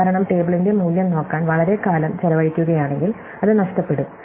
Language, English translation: Malayalam, Because, if spend a long time looking up the value of the table, then that is lost